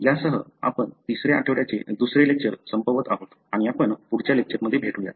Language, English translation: Marathi, So, with that, we come to an end to the second lecture of the third week and we will see you in the next lecture